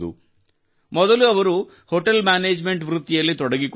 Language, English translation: Kannada, Earlier he was associated with the profession of Hotel Management